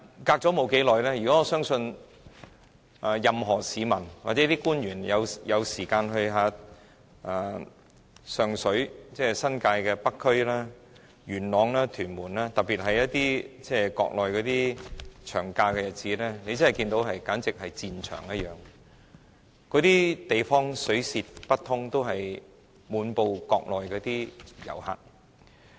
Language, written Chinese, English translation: Cantonese, 可是，沒多久，我相信任何市民或官員如果有空前往新界北區，例如上水、元朗、屯門，特別是在國內放長假的日子，也會看到這些地區猶如戰場一樣，街道擠得水泄不通，滿布國內遊客。, But after a short time I believe any citizen or official who have found time to go to such districts as Sheung Shui Yuen Long and Tuen Mun in New Territories North will find that these districts are like battlefields where the streets are jam - packed and swarmed with Mainland visitors particularly on days of long holiday in the Mainland